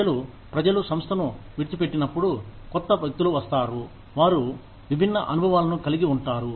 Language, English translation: Telugu, Where people, when people leave the organization, newer people come in, who have different experiences